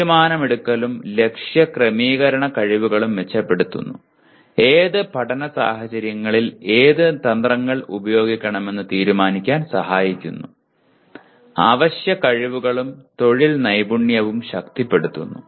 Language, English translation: Malayalam, Improves decision making and goal setting skills; Enables students to self assess the quality of their thinking; Helps to decide which strategies to use in which learning situations; Strengthens essential skills and employability skills